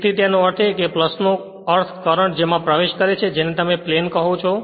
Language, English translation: Gujarati, So that means, plus means current entering into the you are what you call into the plane right